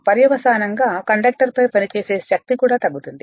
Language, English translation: Telugu, Consequently the force acting on the conductor will also decrease right